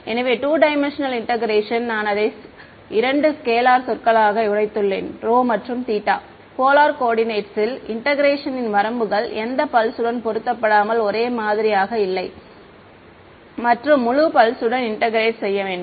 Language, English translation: Tamil, So, 2 dimensional integration I have broken it down into 2 scalar terms rho and theta in polar coordinates no the limits of integration has a same regardless of which pulse of and because have to integrate over the whole pulse